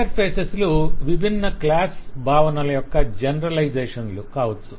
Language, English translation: Telugu, Interfaces could be generalizations of various different class concepts and so on